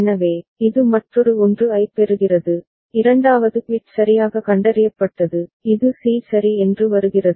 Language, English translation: Tamil, So, it receives another 1, second bit properly detected, it comes to c ok